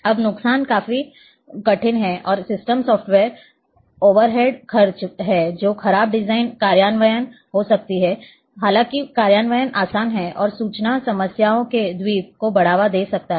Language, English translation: Hindi, Now, disadvantages substantial hard and system software overhead expenses are there, the design may be poor design implementation; however, implementation is easy and a may promote island of information problems